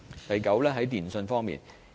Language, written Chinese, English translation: Cantonese, 第九，是電訊方面。, Ninth it is about telecommunications